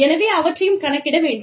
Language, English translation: Tamil, So, all of that, has to be accounted for